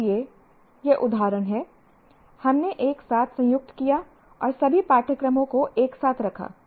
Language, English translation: Hindi, So these are the, for example, we combine together and put all the courses into this together